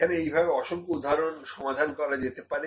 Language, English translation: Bengali, So, multiple examples can be solved here